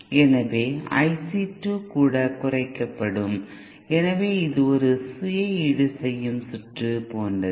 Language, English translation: Tamil, So I C 2 will also be reduced, so it is like a self compensating circuit